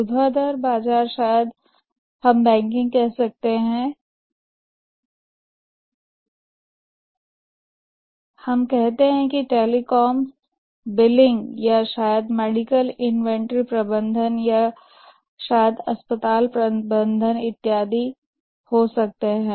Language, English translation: Hindi, The vertical market may be for, let's say, banking, or let's say telecom billing or maybe medical inventory management or maybe a hospital management and so on